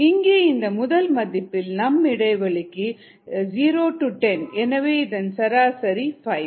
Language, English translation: Tamil, in this case the first case the interval is zero to ten and therefore the averages five